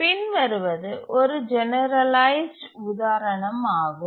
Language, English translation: Tamil, This is another more generalized example